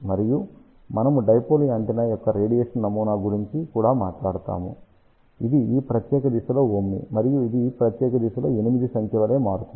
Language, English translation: Telugu, And we had also talked about the radiation pattern of the dipole antenna; it is omni in this particular direction; and it is varying like a figure of 8 in this particular direction